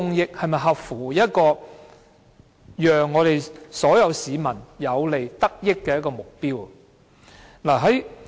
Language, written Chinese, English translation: Cantonese, 又是否合乎讓所有市民有所得益的目標？, Can the aim of benefiting all members of the public be achieved?